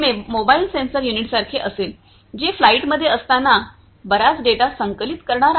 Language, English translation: Marathi, It is going to be like a mobile sensor unit, which is going to collect lot of data while it is in flight